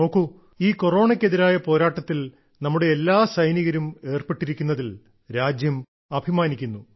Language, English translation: Malayalam, And even the country will get to know how people are working in this fight against Corona